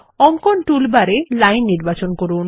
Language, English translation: Bengali, From the Drawing tool bar, select Line